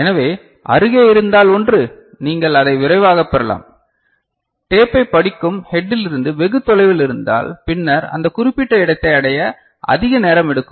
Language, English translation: Tamil, So, the one which is closer, you can fetch it quickly, the one that is farther from the head which is reading the tape then it will take more time to reach that particular location ok